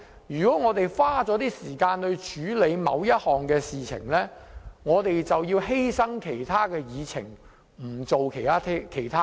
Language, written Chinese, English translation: Cantonese, 如果我們花時間處理某項事情，便要犧牲其他議程項目。, When we spend time to handle one matter we will have to sacrifice other agenda items